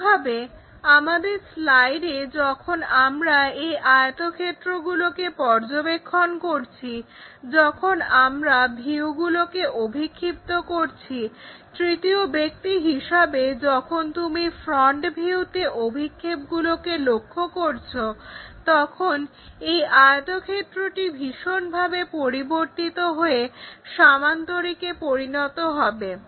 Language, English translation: Bengali, So, in the same way on our slide when we are observing this rectangles, the views when you are projecting, as a third person if you are looking at that front view projected ones this rectangle drastically changes to parallelogram sometimes trapezium and many other kind of shapes